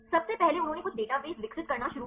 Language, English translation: Hindi, First they started to develop few databases